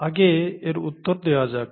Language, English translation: Bengali, Let’s answer that first